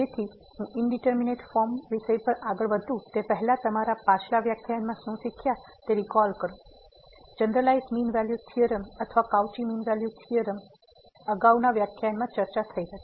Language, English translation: Gujarati, So, before I start to indeterminate forms let me just introduce your recall from the previous lecture, the generalized mean value theorem or the Cauchy mean value theorem which was discussed in previous lecture